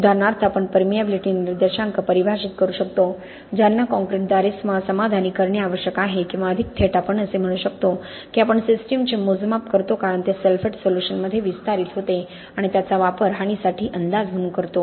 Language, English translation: Marathi, For example we can define permeability indices that need to be satisfied by the concrete or more directly we can say that we measure the system as it expands in the sulphate solution and use that as a predictor for the damage